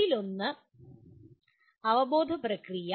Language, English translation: Malayalam, One is the cognitive process